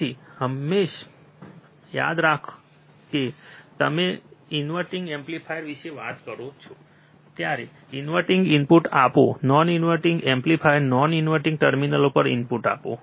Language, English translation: Gujarati, So, always remember when you talk about inverting amplifier, apply the input to inverting talk about the non inverting amplifier apply input to non inverting terminal